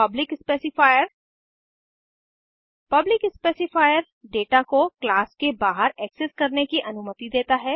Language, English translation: Hindi, Public specifier The public specifier allows the data to be accessed outside the class